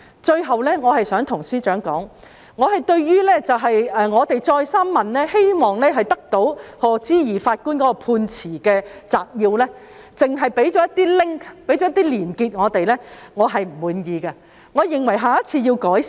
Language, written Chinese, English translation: Cantonese, 最後，我想對司長指出，我們多次要求取得賀知義法官的判詞摘要，但只獲提供連結，我對此表示不滿意，我認為下次要作出改善。, Finally I would like to point out to the Secretary for Justice that we have repeatedly requested for a summary of the judgments delivered by Lord HODGE yet we are merely provided with links . I have to express my discontent and I think that the authorities should do a better job next time